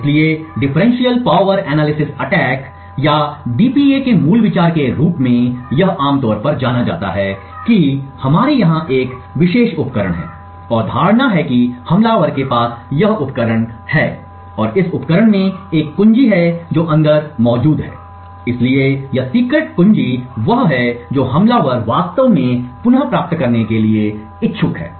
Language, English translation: Hindi, So, the basic idea of Differential Power Analysis attacks or DPA as it is commonly known as is that we have a particular device over here and the assumption is the attacker has this device and this device has a key which is present inside, so this secret key is what the attacker is interested to actually retrieve